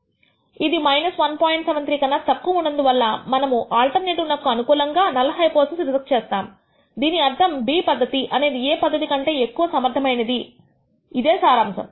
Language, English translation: Telugu, 73 we reject this null hypothesis in favor of this alternative, which means method B is more effective that method A that is a conclusion